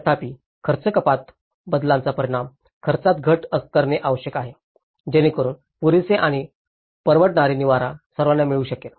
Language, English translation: Marathi, Whereas, the cost reduction changes must result in cost reduction so that adequate and affordable shelter is attaining for all